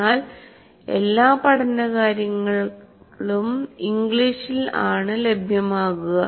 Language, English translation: Malayalam, But all learning resources are available in English